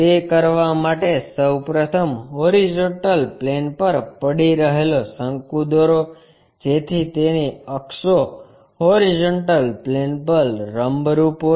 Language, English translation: Gujarati, To do that first of all make a cone resting on horizontal plane, so that it axis is perpendicular to horizontal plane